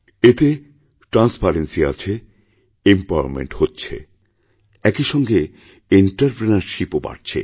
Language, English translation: Bengali, This has transparency, this has empowerment, this has entrepreneurship too